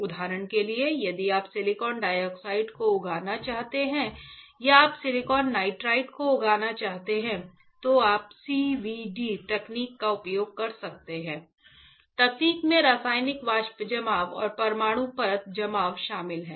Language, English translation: Hindi, For example, if you want to grow silicon dioxide right or you want to grow silicon nitride right, then you can use the CVD technique; in technique includes chemical vapor deposition and atomic layer deposition